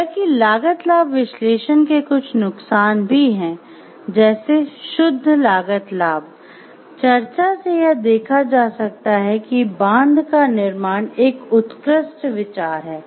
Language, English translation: Hindi, However there are certain pitfalls of the cost benefit analysis, like from a pure cost benefit discussion it might seem that the building of a dam is an excellent idea